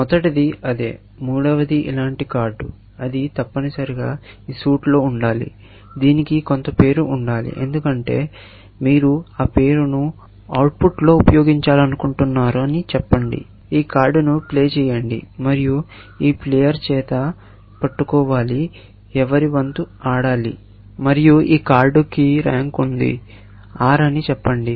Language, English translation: Telugu, The first was same, the third one is similar card; it must be of this suit, s; it must have some name, because you want to use that name in the output, say, play this card, and must be held by this player, whose turn it is to play, and this card has a rank, let us say R